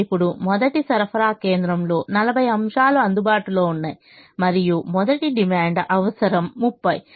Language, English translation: Telugu, now, the first supply point has forty items available and the first demand requirement is thirty